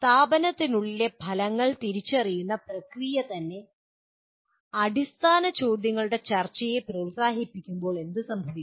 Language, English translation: Malayalam, What happens when the very process of identification of the outcomes within institution promotes discussion of fundamental questions